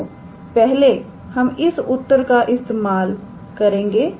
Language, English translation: Hindi, So, we use the first formula